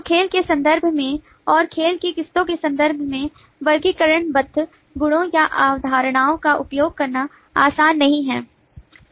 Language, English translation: Hindi, so the classification in terms of games and in terms of varieties of games is not easy using the bounded properties or concepts